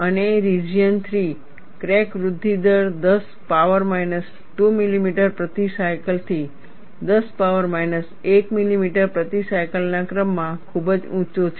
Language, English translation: Gujarati, And region 3, the crack growth rate is very high, of the order of 10 power minus 2 millimeter per cycle to 10 power minus 1 millimeter per cycle; that means, 0